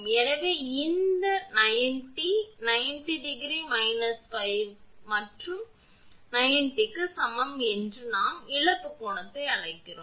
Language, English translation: Tamil, So, this delta is equal to 90 degree minus phi and delta we call that loss angle